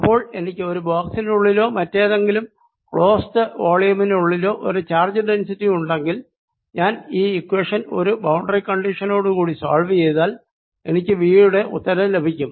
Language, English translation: Malayalam, so if i am given some charge density inside a box or some other close volume, some charge density, i solve this equation with the boundary condition and that gives me the answer for v